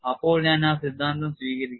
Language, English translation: Malayalam, Then I will accept the theory